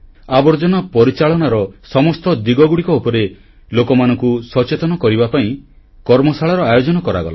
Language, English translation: Odia, Many Workshops were organized to inform people on the entire aspects of waste management